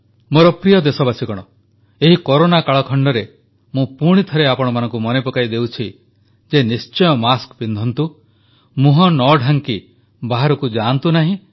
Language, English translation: Odia, My dear countrymen, in this Corona timeperiod, I would once again remind you Always wear a mask and do not venture out without a face shield